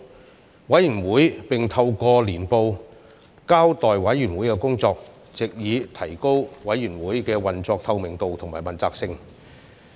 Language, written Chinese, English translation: Cantonese, 此外，委員會並透過年報交代委員會的工作，藉以提高運作的透明度及問責性。, Moreover the Committee reports its work through annual reports in order to enhance the transparency and accountability of the Committee